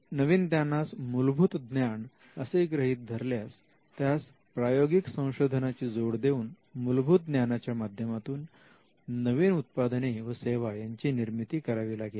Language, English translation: Marathi, So, if you understand the new knowledge as a basic knowledge that has to be some applied research that needs to be done for converting the basic knowledge into products and services